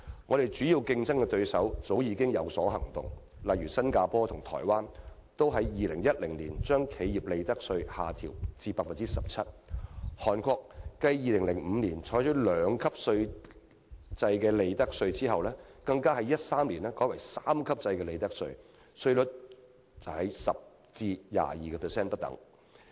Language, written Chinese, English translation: Cantonese, 我們的主要競爭對手早已有所行動，例如新加坡和台灣都在2010年將企業利得稅下調至 17%， 韓國繼2005年採取兩級制利得稅後，更在2013年改為三級制利得稅，稅率由 10% 至 22% 不等。, Similar actions have already been taken by our major competitors . For example both Singapore and Taiwan have reduced their corporate income tax rates to 17 % in 2010 . In 2005 South Korea first adopted a two - tier profits tax system to be followed by a three - tier system in 2013 with corporate tax rates ranging from 10 % to 22 %